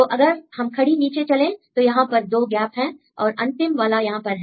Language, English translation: Hindi, So, we go the down vertically down 2 gaps and the last one is here ok